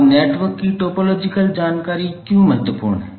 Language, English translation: Hindi, Now, why the topological information of the network is important